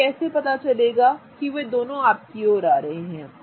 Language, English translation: Hindi, How do I know they are both coming towards you